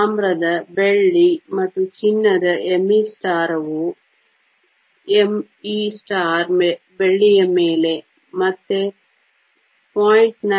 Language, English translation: Kannada, Copper silver and gold m e star over m e silver is again 0